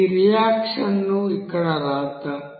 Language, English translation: Telugu, Let us write this reaction here again